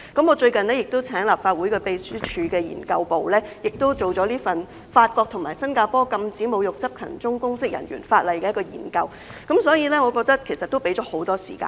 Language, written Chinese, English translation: Cantonese, 我最近亦請立法會秘書處資料研究組做了一份題為"法國和新加坡禁止侮辱執勤中公職人員的法例"的研究，所以我認為其實已經給予很多時間。, Recently I have also requested the Research Office of the Legislative Council Secretariat to conduct a study entitled Legislation against insults to public officers on duty in France and Singapore . That is why I think there has actually been ample time